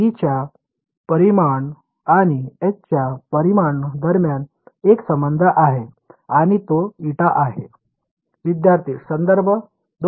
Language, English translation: Marathi, Is a relation between the magnitude of E and the magnitude of H right there is a eta